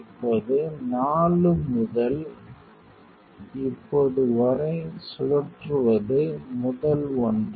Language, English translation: Tamil, Now, the rotate 4 to now comes the first one